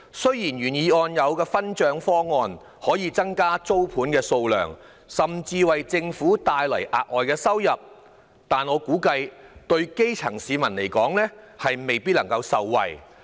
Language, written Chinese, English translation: Cantonese, 雖然原議案的分享租金收入的方案可以增加租盤數量，甚至為政府帶來額外收益，但我估計，基層市民未必能夠受惠。, Although the proposal of sharing rental incomes in the original motion can increase the number of rental units and even bring extra revenue to the Government I guess the grass roots may not be benefited